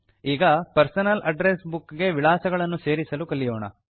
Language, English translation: Kannada, Now, lets learn to add contacts in the Personal Address Book